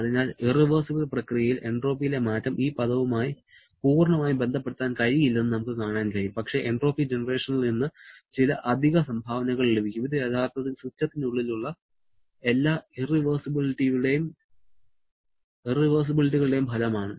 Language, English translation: Malayalam, So, during the irreversible process, we can see that entropy change cannot be related fully to this term but there will be some additional contribution coming from the entropy generation which actually is a result of all the irreversibilities that are present inside the system